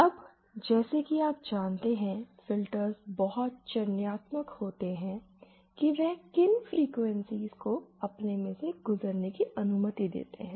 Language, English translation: Hindi, Now, filters as you know, they are selective in which frequencies they allow to pass through them